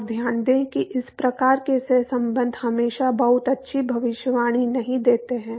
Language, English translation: Hindi, And, note that these kinds of correlations do not always give a very good prediction